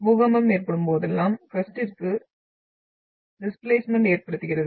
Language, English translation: Tamil, So whenever there is an earthquake, there is a displacement of the within the crust